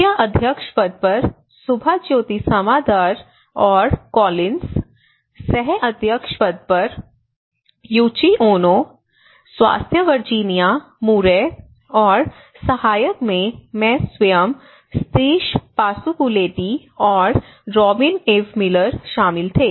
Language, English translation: Hindi, On the chairs of Subhajyoti Samadar and Andrew Collins, Co Chairs are Yuichi Ono and for health Virginia Murray and rapporteurs myself from Sateesh Pasupuleti and Robyn Eve Miller